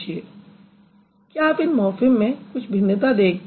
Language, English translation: Hindi, Do you see any difference between these two morphems